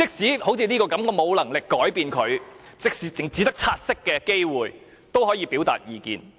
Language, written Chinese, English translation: Cantonese, 好像這項《公告》，即使我沒有能力作出修訂，只有察悉的機會，都可以表達意見。, For instance as regards the Notice even though I am not in a position to propose any amendments as long as I have the chance to take note of it I can present my views